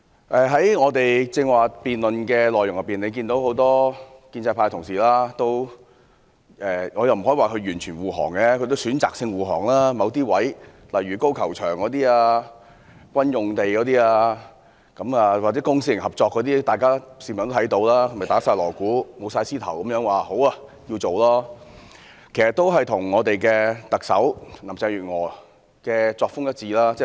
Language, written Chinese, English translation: Cantonese, 在剛才議員的辯論中，大家可以看到，很多建制派同事——我不可以說他們完全護航——他們是選擇性護航，就某些選項，例如高爾夫球場、軍事用地或公私營合作等，大鑼大鼓、舞獅頭地說好，要予以處理，但其實他們與特首林鄭月娥的作風一致。, During Members debate just now we can see that many Honourable colleagues of the pro - establishment camp whom I cannot say have completely defended the Government practice it selectively . Regarding certain options such as the golf course military sites public - private partnership etc they concurred with a fanfare that such items should be addressed but actually they have acted in the same style as Chief Executive Carrie LAM